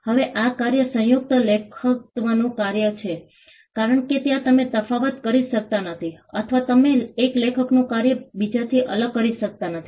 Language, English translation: Gujarati, Now the work is a work of joint authorship because, there you cannot distinguish or you cannot separate the work of one author from the others